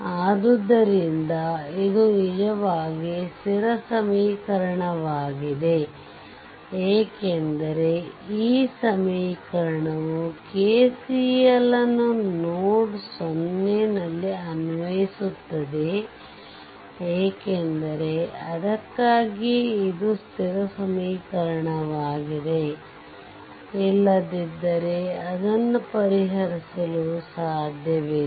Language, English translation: Kannada, So, here because this is actually this equation actually your constant equation this equation the, this equation is your constant equation this equation because we apply KCL at node o because that is why it is a constant equation otherwise you cannot solve it right